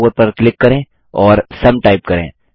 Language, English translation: Hindi, Click on the cell A4 and type SUM